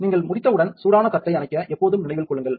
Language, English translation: Tamil, Always remember to turn off the hot plate when you are done